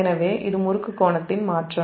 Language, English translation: Tamil, so this is the change in torque angle